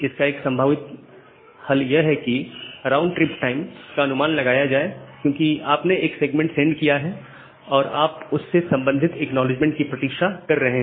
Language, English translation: Hindi, So, one possible solution is that to estimate the round trip time because, you have sent a segment and you are waiting for the corresponding acknowledgement